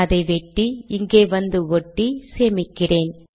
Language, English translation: Tamil, So I have cut, lets paste it here